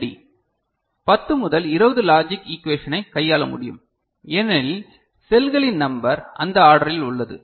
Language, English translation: Tamil, And this can handle such PLD can handle about 10 to 20 logic equation alright because number of cells are of that order